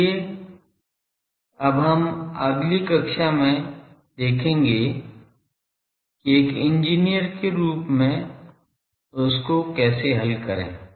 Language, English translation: Hindi, So, now we will see how to play with that as an engineer in the next class